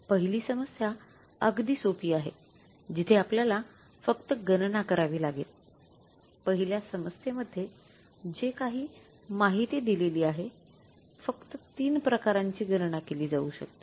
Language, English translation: Marathi, First problem is very simple where we have to calculate only whatever the information given in the first problem only three variances can be calculated